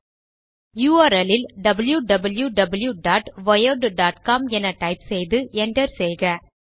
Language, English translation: Tamil, Go to the URL bar and type www.wired.com and press enter key